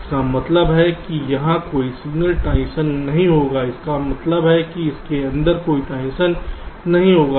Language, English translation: Hindi, disabling these means there will be no signal transitions occurring here, which means no transitions will be occurring inside this